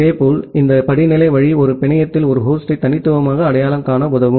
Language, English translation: Tamil, Similarly, this hierarchical way will help into uniquely identify a host in a network